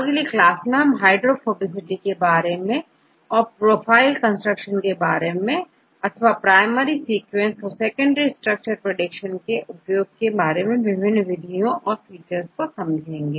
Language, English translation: Hindi, Next class we will discuss about the more details of the hydrophobicitys and the how to construct profiles, and you can use the potential applications of the different aspects from the features obtained from the primary sequence, then we go with the secondary structures secondary prediction and so on